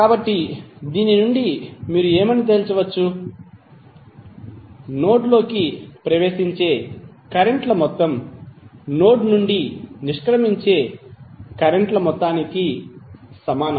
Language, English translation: Telugu, So from this, what you can conclude, that the sum of currents entering the node is equal to sum of currents leaving the node